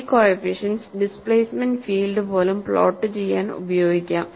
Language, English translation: Malayalam, You have these coefficients and these coefficients could be used to plot even the displacement field